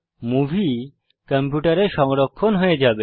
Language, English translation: Bengali, The movie will be saved on your computer